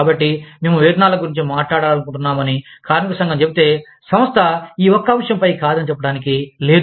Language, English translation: Telugu, So, if the labor union says, that we want to talk about wages, then this is one topic, that the organization cannot say, no to